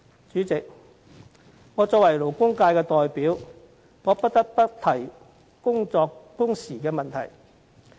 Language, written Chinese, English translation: Cantonese, 主席，作為勞工界的代表，我不得不提出工時的問題。, President as the representative of the labour sector I must raise the issue of working hours